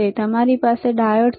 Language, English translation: Gujarati, How about we have a diode